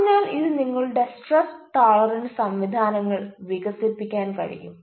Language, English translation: Malayalam, so that will help you to develop your stress tolerance mechanisms